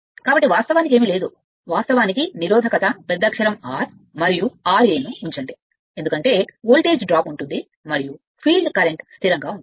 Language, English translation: Telugu, So, nothing is there actually, you put a resistance R capital R and this because of that there will be voltage drop and field current remain constant